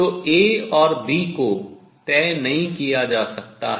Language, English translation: Hindi, So, A and B are fixed by the boundary conditions